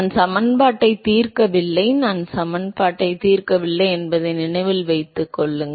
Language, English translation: Tamil, I have not solved the equation, note that I have not solved the equation